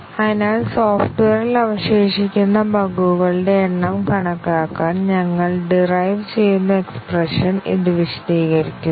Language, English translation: Malayalam, So, this explains the expression that we are going to derive, to estimate the number of bugs that are remaining in the software